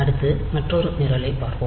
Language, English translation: Tamil, Next, we will look into another program